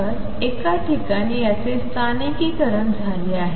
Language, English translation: Marathi, So, this is localized at one point